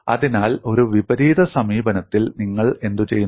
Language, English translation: Malayalam, So, what you do in an inverse approach